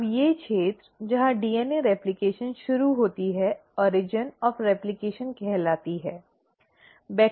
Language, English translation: Hindi, Now these regions where the DNA replication starts is called as origin of replication, okay